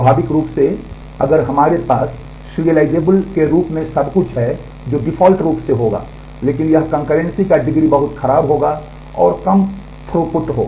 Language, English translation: Hindi, Naturally if we have everything as serial that will happen by default, but that will have very poor degree of concurrency and very low throughput